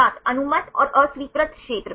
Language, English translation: Hindi, Allowed and disallowed regions